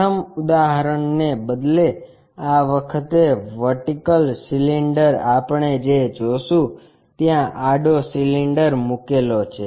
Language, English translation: Gujarati, Instead of having the first example like resting means, vertical cylinder what we willsee isa lay down horizontal cylinder